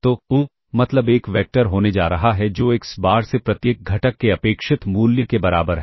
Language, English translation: Hindi, So, the mean is going to have a, be a vector that is expected xBar equals the expected value of each of the components